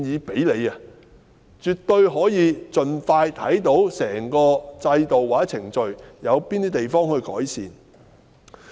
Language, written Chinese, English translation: Cantonese, 這樣絕對可以盡快了解得到整個制度和程序中，有何地方需要作出改善。, This will definitely enable prompt identification of what needs improvement in the whole system and throughout the procedures